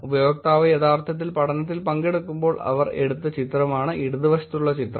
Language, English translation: Malayalam, The picture on the left is the picture that they took while the user was actually participating in the study